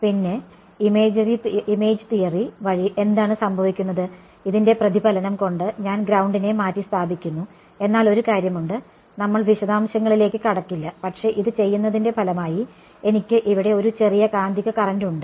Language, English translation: Malayalam, And, then what happens by image theory is, I replace the ground by the reflection of this, but there is one thing I mean we will not go into the detail, but as a result of doing this, I am left with a small magnetic current over here ok